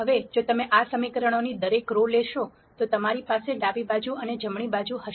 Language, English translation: Gujarati, Now if you take each row of this equation you will have a left hand side and the right hand side